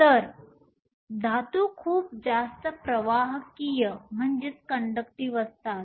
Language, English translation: Marathi, So, metals are so much more conductive